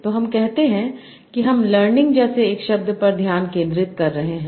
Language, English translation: Hindi, So let us say I am focusing on one word like learning